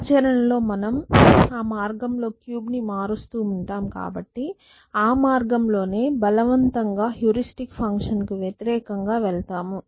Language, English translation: Telugu, In practice since I have to disrupt the cube on the way I will be first two go against the heuristic function essentially